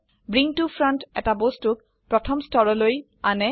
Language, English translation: Assamese, Bring to Front brings an object to the first layer